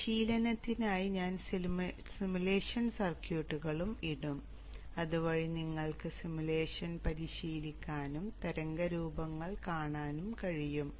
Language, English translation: Malayalam, So I will also put the simulation circuits for practice so that you can practice the simulation and see the waveforms